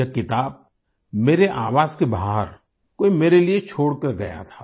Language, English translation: Hindi, Someone had left this book for me outside my residence